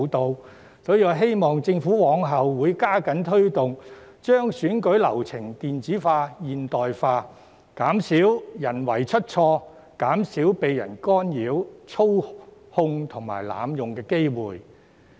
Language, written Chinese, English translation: Cantonese, 因此，我希望政府往後能加緊推動，將選舉流程電子化、現代化，減少人為出錯，也減低被干擾、操控和濫用的機會。, Therefore I hope the Government would step up its efforts in promoting these initiatives to implement the digitalization and modernization of the electoral process in the future so as to reduce human errors and minimize the chance of interference manipulation and abuse